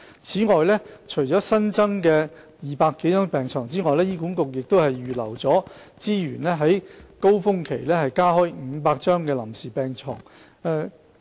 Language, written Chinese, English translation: Cantonese, 此外，除了新增的200多張病床外，醫管局亦會預留資源於高峰期間加開500張臨時病床。, In addition to the 200 - odd new beds HA has reserved resources to build up capacity for providing 500 temporary beds during the winter surge